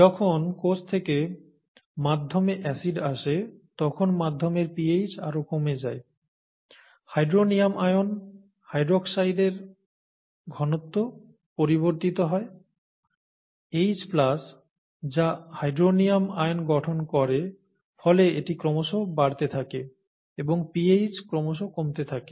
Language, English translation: Bengali, When acid is introduced into the medium by the cell, the medium pH goes down further, the hydronium ion, hydroxide ion concentrations vary; H plus which forms hydronium ions and therefore this starts going up, the pH starts going down